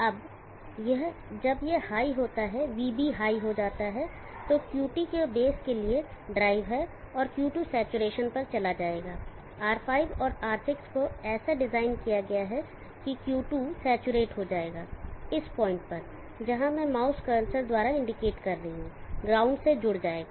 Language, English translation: Hindi, Now this when this goes high VB was high there is dry for the base of Q2 and Q2 will go on to saturation R5 and R6 also designed that Q2 will saturate and this point, this where I am indicating by the mouse cursor will get connected to ground